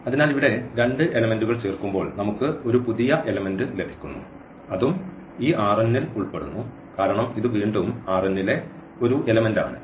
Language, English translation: Malayalam, So, when we add two elements here we are getting a new element and that also belongs to this R n because this is again a element of element in this R n